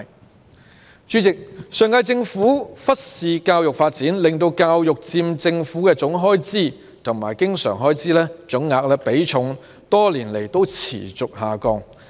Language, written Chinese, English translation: Cantonese, 代理主席，上屆政府忽視教育發展，令教育開支佔政府的總開支和經常開支總額的比重，多年來持續下降。, Deputy President the previous - term Government ignored education and the proportion of education expenditure to the total government expenditure and the total recurrent expenditure has been decreasing over the years